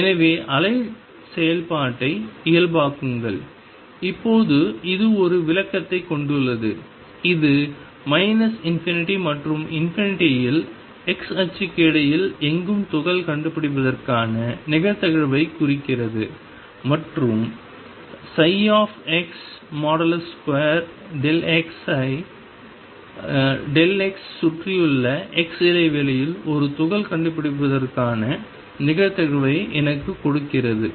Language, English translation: Tamil, So, normalize wave function, now has an interpretation that this represents the probability of finding particle anywhere between minus infinity and infinity on the x axis and psi square x delta x gives me the probability of finding a particle in the interval delta x around x